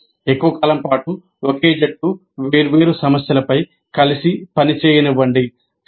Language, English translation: Telugu, That means for extended periods let the same teams work together on different problems